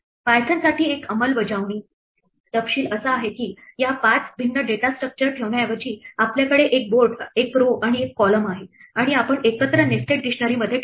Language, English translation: Marathi, One implementation detail for python is that instead of keeping these 5 different data structures, we have a board and a row and a column and all that we keep it as a single nested dictionary